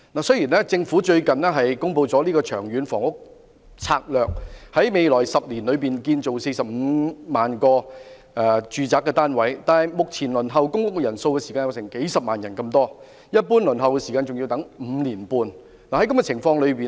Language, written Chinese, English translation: Cantonese, 雖然政府近日公布了《長遠房屋策略》，提出會在未來10年興建45萬個住宅單位，但目前輪候公屋人數有數十萬人，一般輪候時間更要5年半。, Recently the Government has announced the Long Term Housing Strategy LTHS proposing the construction of 450 000 residential units in the next 10 years . However several hundred thousand of people are still waiting for public rental housing and the general waiting time is 5.5 years